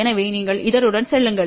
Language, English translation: Tamil, So, you move along this